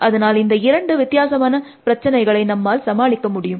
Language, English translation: Tamil, So, we can actually distinguish between these two different kinds of problems